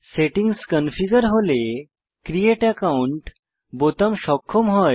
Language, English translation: Bengali, When the settings are configured manually, the Create Account button is enabled